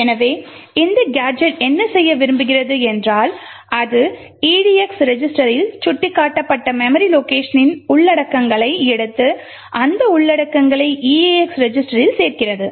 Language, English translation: Tamil, So, what this a gadget does is what we want to do, so it takes the contents of the memory location pointed to by the edx register and adds that contents into the eax register